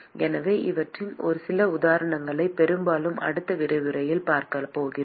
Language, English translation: Tamil, So, we are going to see some examples of these, mostly in the next lecture